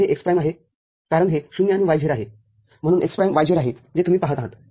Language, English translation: Marathi, So, this is x prime because it is 0, and y z, so x prime y z that you see